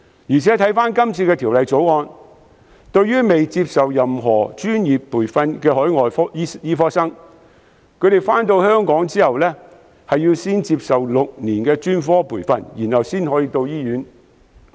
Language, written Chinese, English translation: Cantonese, 再者，根據《條例草案》，尚未接受專科培訓的海外醫科生來港後，需要先行接受6年的專科培訓，然後才可到醫院工作。, Furthermore according to the Bill for an overseas medical graduate who has come to Hong Kong before receiving specialist training heshe must first receive six years of specialist training in Hong Kong before they can work in hospitals